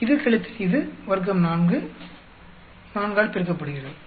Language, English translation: Tamil, This minus this, square, multiply by 4